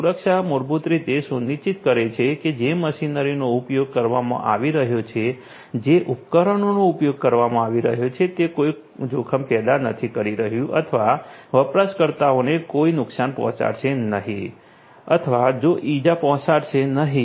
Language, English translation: Gujarati, Safety basically ensures that the machinery that are being used, the devices that are being used are not going to pose any risks or are going to not hurt or you know or give injury to the users